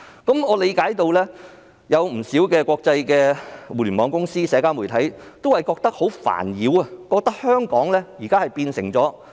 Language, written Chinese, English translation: Cantonese, 不少國際互聯網公司及社交媒體對此感到煩擾，覺得香港已經變了樣。, Many international Internet companies and social media find the request disturbing and they think that Hong Kong has changed